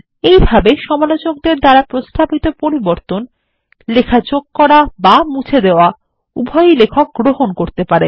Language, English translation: Bengali, In this way, edits suggested by the reviewer, both insertions and deletions, can be accepted by the author